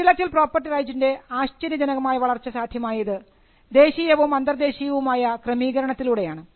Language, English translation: Malayalam, So, this phenomenal growth of intellectual property came through an international and a national arrangement